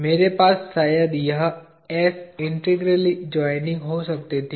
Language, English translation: Hindi, I could have, perhaps, this s integrally joining